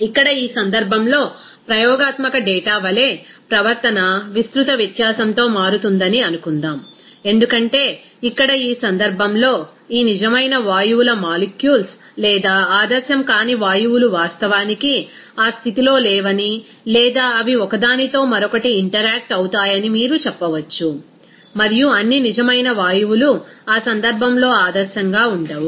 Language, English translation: Telugu, Here in this case, suppose the behavior will be changing in wide variance as for experimental data because here in this case, the molecule of this real gases or you can say that non ideal gases does not actually in that state or it will interact with each other and all real gases will be in that case non ideal